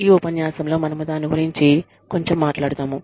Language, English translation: Telugu, We will talk about it, a little bit, in this lecture